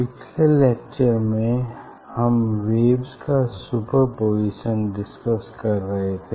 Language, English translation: Hindi, in last class we are discussing out the superposition of waves